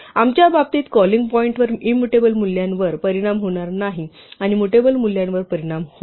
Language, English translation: Marathi, Immutable values will not be affected at the calling point in our case and mutable values will be affected